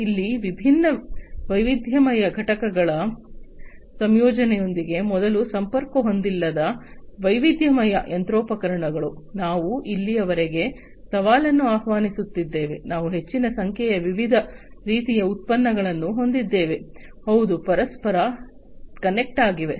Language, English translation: Kannada, Here with the incorporation of interconnection of different heterogeneous components, heterogeneous machinery, which were not connected before, what the challenge that we are inviting over here, is that we are having large number of different types of products, which will have to be interconnected